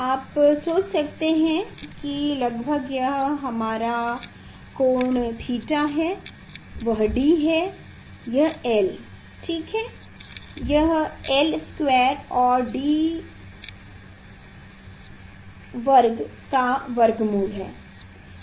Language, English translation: Hindi, approximately you can think that this is our angle theta, this is D, this is l ok, this is square root of l square plus D square